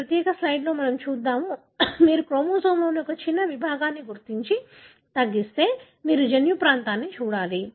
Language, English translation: Telugu, So, let us see, you know, in this, in this particular slide what I am saying is that if you have identified and narrow down a small segment of chromosome you need to look at the genomic region